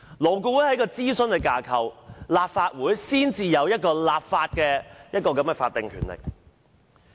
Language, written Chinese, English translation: Cantonese, 勞顧會只是諮詢機構，立法會才具有立法的法定權力。, LAB is only an advisory body while the Legislative Council has the statutory power to enact legislation